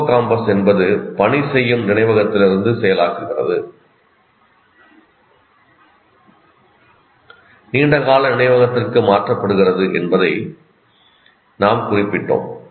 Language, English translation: Tamil, Anyway, that is incidentally, we mentioned that hippocampus is the one that processes from working memory, transfers it to the long term memory